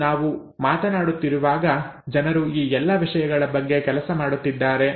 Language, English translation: Kannada, And as we speak, people are working on all these things